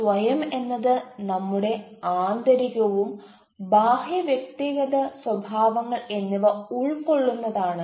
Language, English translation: Malayalam, you know self is consist of inner self, outer self, inter personal self